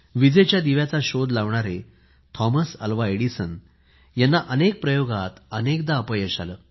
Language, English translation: Marathi, Thomas Alva Edison, the inventor of the light bulb, failed many a time in his experiments